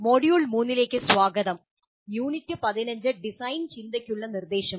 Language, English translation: Malayalam, Greetings, welcome to module 3, Unit 15 Instruction for Design Thinking